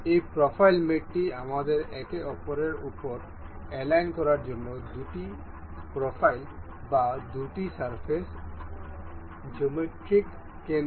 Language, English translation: Bengali, In this profile mate, this profile mates allows us to align the center geometric center for two profiles or two surfaces to align over each other